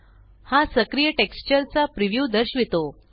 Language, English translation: Marathi, It shows the preview of the active texture